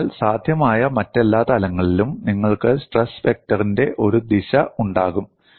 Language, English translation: Malayalam, So, in all other possible planes, you will have a direction of the stress vector